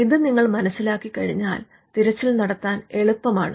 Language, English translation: Malayalam, Once you understand this, it is easier for you to do the search